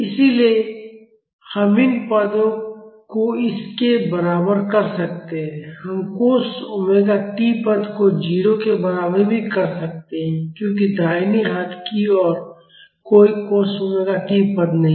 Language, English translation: Hindi, So, we can equate these terms to this one we can also equate the cos omega t terms to 0 because in the right hand side, there are no cos omega t terms